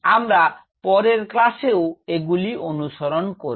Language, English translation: Bengali, We will follow it up in the next class